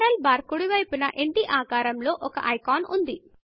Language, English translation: Telugu, To the right of the URL bar, is an icon shaped like a house